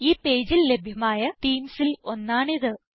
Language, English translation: Malayalam, This is one of many themes available on this page